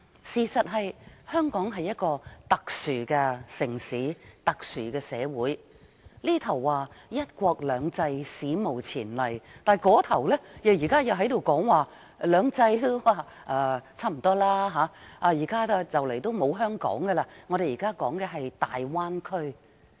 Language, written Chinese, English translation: Cantonese, 事實上，香港是一個特殊的城市、特殊的社會，這邊廂說"一國兩制"是史無前例，那邊廂卻說現在已差不多不是"兩制"，很快便沒有香港，因為現時說的是大灣區。, In fact Hong Kong is not only a special city but also a special society . On the one hand the one country two systems is described as unprecedented but on the other the two systems appear to be close to extinction . Hong Kong is disappearing in no time because people are now talking about the Guangdong - Hong Kong - Macao Bay Area